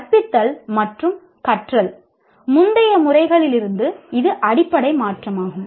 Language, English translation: Tamil, This is a fundamental shift from the earlier methods of teaching and learning